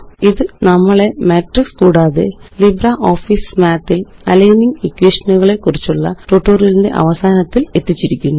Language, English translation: Malayalam, This brings us to the end of this tutorial on Matrix and Aligning equations in LibreOffice Math